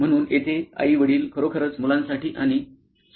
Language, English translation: Marathi, So here, mom and dad actually pack lunch for kids and themselves